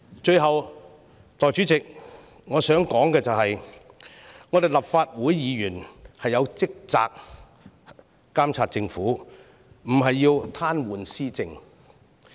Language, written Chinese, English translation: Cantonese, 最後，代理主席，我想說的是立法會議員的職責是監察政府，而非癱瘓施政。, Lastly Deputy President what I wish to say is that it is the duty of Members of the Legislative Council to monitor the Government instead of paralysing it